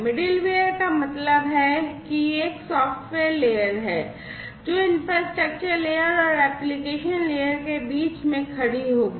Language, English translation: Hindi, Middleware means it is a software layer, which will be standing between the infrastructure layer and the application layer